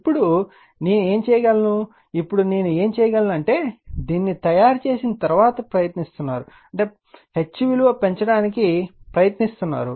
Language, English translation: Telugu, Now, what you can do is now what else I am do is that you are you are trying after making this, we are trying to increase the H right